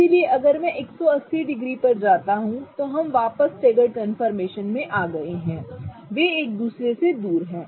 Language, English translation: Hindi, Okay, if I go to 180 degrees we are back to staggered, they are farthest apart from each other